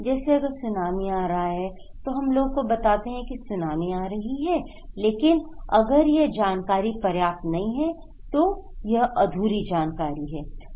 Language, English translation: Hindi, Like if there is a Tsunami, we tell people that okay, Tsunami is coming but if this information is not enough, it is incomplete information